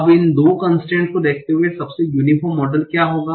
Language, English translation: Hindi, Now given these two constraints, what will be the most uniform model